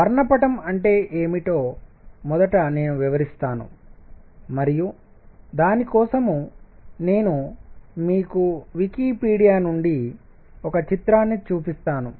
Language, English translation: Telugu, Let me first explain what do we mean by spectrum and for that I will show you a picture from Wikipedia